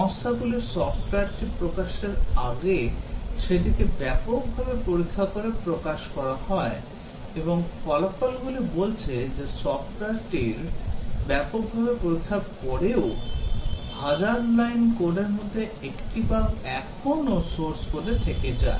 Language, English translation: Bengali, The companies before they release software the test it extensively and results say, that after extensive testing of software still one bug per 1000 lines of code, source code still remain